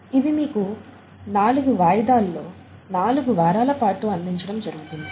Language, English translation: Telugu, And this would be given to you in four installments over four weeks